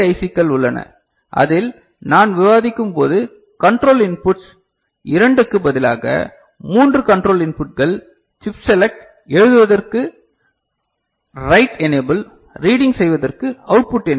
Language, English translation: Tamil, And there are other memory ICs in which the control inputs as I was discussing we have got instead of 2; 3 control inputs chip select, write enable for writing purpose, output enable this is for reading purpose